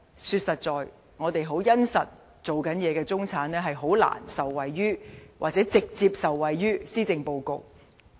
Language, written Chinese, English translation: Cantonese, 說實在，在香港殷實工作的中產是難以受惠於或直接受惠於施政報告。, Frankly speaking members of the middle class who work earnestly cannot possibly benefit or directly benefit from the Policy Address